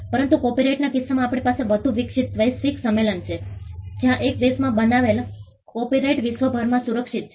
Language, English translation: Gujarati, But in the case of copyright we have a much more evolved global convention where copyright created in one country is protected across the globe